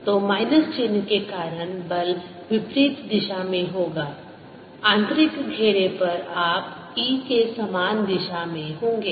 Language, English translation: Hindi, so because of the minus sign, will give a force in the opposite direction on the inner circle you will be in the same direction as the e because of this electric field